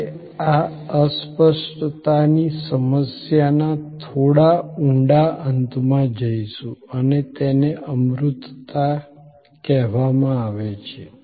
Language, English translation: Gujarati, We will get into a little deeper end of this intangibility problem and these are called abstractness